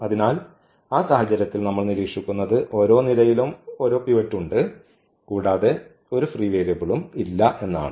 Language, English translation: Malayalam, So, in that case this was a situation and what we observe now for this case that we have the every column has a pivot and there is no free variable